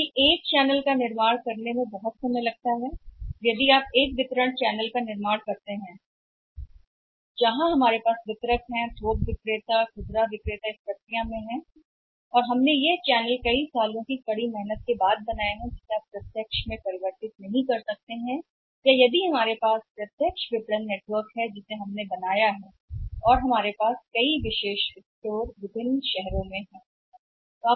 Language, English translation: Hindi, Because building a channel takes a time lot of time it takes and if your building a channel of distribution network where we have distributors, wholesaler and retailer in the process and we have built this channel by working hard for many years you cannot stay away convert to direct marketing or if we have the direct marketing network we have created and we have the number of exclusive stores in the different cities and different towns